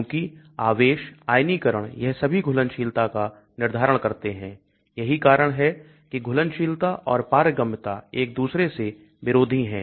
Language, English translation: Hindi, Because charge, ionization all these determine solubility that is why solubility and permeability are sort of opposing